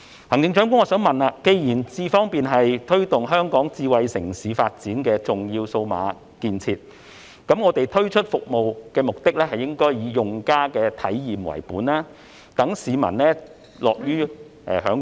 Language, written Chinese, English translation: Cantonese, 行政長官，既然"智方便"是推動香港智慧城市發展的重要數碼建設，政府推出服務的目的應該以用家體驗為本，市民才會樂於享用。, Chief Executive since iAM Smart is an important digital facility to promote the development of Hong Kong into a smart city the Government should launch the service with user experience in mind . Only then will members of the public be willing to use it